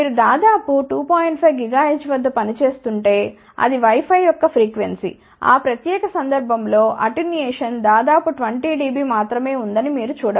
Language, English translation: Telugu, 5 gigahertz, which is the frequency of wi fi then in that particular case you can see that the attenuation is of the order of 20 dB only ok